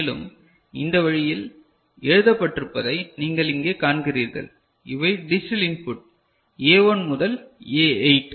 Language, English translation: Tamil, And, you see over here it is written in this manner these are digital input A1 to A8 ok